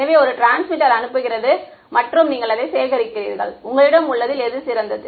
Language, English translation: Tamil, So, one transmitter sends and you collect back what is coming to you which is better